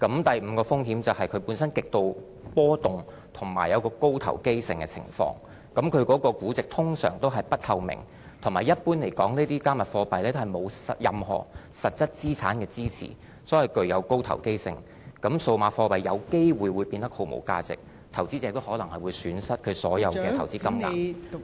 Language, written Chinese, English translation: Cantonese, 第五個風險是，加密數碼貨幣本身極度波動及高投機性的情況，其估值通常是不透明，同時一般來說，加密數碼貨幣沒有任何實質資產的支持，所以具有高投機性，因此數碼貨幣有機會變得毫無價值，投資者可能會損失所有投資金額......, The valuation of cryptocurrencies is usually not transparent . Besides generally speaking cryptocurrencies are highly speculative as they are not backed by any tangible assets . Digital currencies could be rendered worthless and investors may stand to lose all of their investments